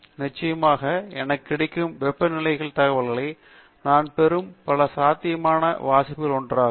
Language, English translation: Tamil, Definitely the temperature observations that I have are just one of the many possible readings that I could have obtained